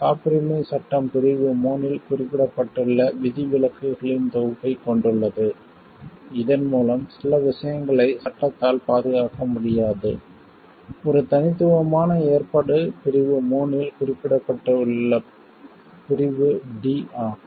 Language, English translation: Tamil, What we see patent act has a set of exceptions mentioned in section 3 by which certain things cannot be protected by the law; what unique provision is clause d mentioned in the section 3